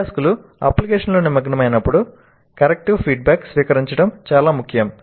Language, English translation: Telugu, Learning from an application is effective when learners receive corrective feedback